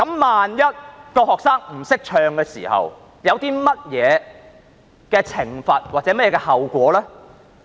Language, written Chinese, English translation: Cantonese, 萬一學生不懂得唱國歌，會有甚麼懲罰或後果呢？, In case any student does not know how to sing the national anthem what will be the punishment or consequences?